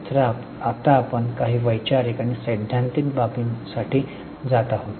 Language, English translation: Marathi, So now we are going to go for some conceptual and theoretical aspects